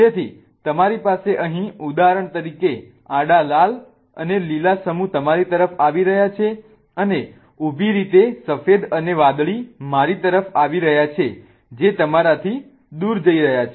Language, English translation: Gujarati, So, what you have here is horizontally for example horizontally the red and the green one are coming towards you and vertically the white and the blue one are coming towards me that is really going away from you